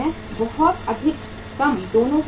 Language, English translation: Hindi, Too high too low, both have the cost